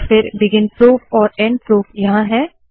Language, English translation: Hindi, And then begin proof, end proof comes here